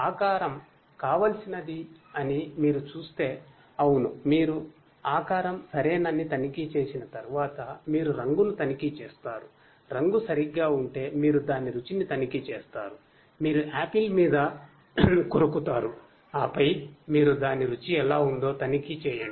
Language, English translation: Telugu, If you know, if you see that the shape is what is desirable, if yes, if you after checking that the shape is, then you check the color, if the color is ok, then you check its taste, you know you bite you have a bite on the apple and then you check how it tastes